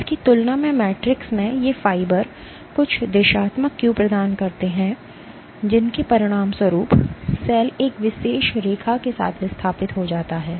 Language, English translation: Hindi, Versus in this matrix these fibers provide some directional cue as a consequence of which the cell tends to migrate along one particular line